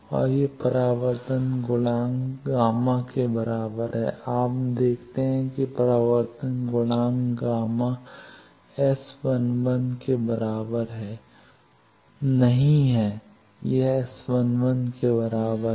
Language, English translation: Hindi, You see that reflection coefficient gamma 1 is not equal to s11 it is equal to s11